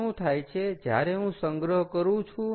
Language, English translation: Gujarati, so therefore, what happens is when i store it